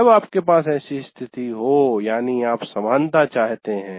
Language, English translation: Hindi, But when you have such a situation, that is you want equity